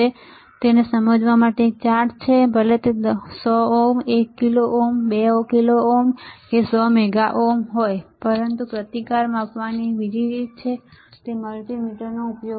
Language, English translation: Gujarati, So, there is a chart to understand what is the value of the resistor; whether it is 100 ohm 1 kilo ohm 2 kilo ohm 100 mega ohms, but there is another way of measuring the resistance and that is using the multimeter